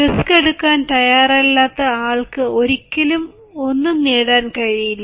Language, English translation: Malayalam, one who never takes risks can never gain